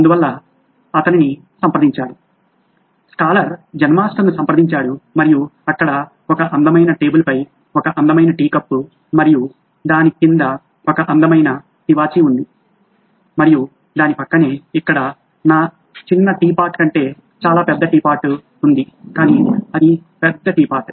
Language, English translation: Telugu, So he approached, the scholar approached the Zen Master and there was a lovely tea cup on a beautiful table and a lovely carpet right underneath that and right next to it was a tea pot much bigger than my little tea pot here but it was a bigger tea pot